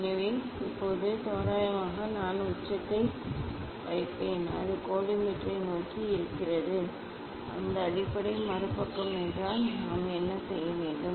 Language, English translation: Tamil, So now, this one approximately I will put apex is towards the collimator and that base is other side then what we should do